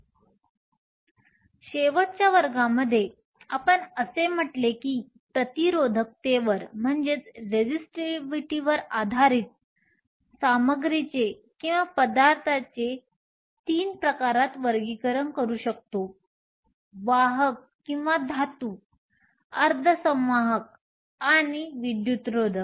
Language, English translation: Marathi, So, last class, we said the based on resistivity, we can classify materials into three types conductors or metals, semiconductors and insulators